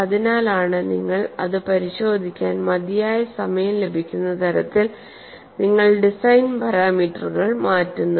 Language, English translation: Malayalam, That is why you alter the design parameters in such a manner that you have sufficient time to go and attend on to it, let us look at this